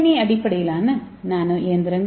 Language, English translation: Tamil, So how to construct this nano machine